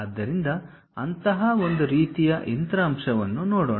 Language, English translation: Kannada, So, let us look at one such kind of machine element